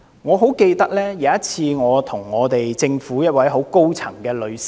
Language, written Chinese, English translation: Cantonese, 我曾經向政府一位很高層的女士......, I have made a suggestion to a female official of a very high level of the highest level in the Government